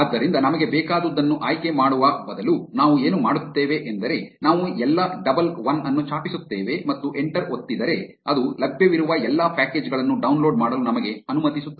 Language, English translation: Kannada, So, instead of selecting the ones we want, what we will do is, we will just type all a double l and press enter which will allow us to download all the packages which are available